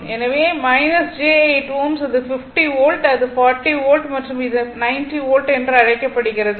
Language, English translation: Tamil, So, minus j 8 ohm and it is 50 volt it is 40 volt and it is your what you call 90 volt